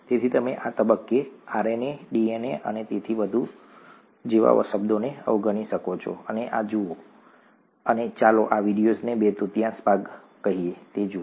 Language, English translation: Gujarati, So you could ignore the terms such as RNA, DNA and so on so forth at this stage and watch this, and watch about let’s say two thirds of this video